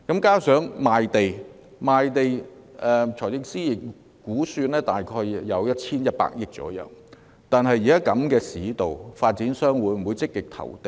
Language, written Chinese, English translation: Cantonese, 加上在賣地方面，財政司司長估算賣地收入約有 1,100 億元，但現時市道如此疲弱，發展商會否積極投地？, In addition speaking of land sales the Financial Secretary estimates that the revenue from land sales will amount to about 110 billion . Yet given the weak market conditions will developers be keen to participate in land auctions?